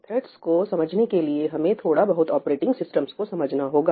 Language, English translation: Hindi, To understand threads, we will have to get a little bit into operating systems